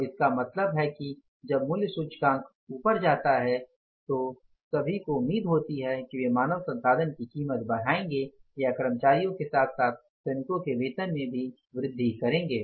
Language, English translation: Hindi, So, means when the price index goes up, everyone is expected to increase the prices of human resources or the salaries of the workers as well as employees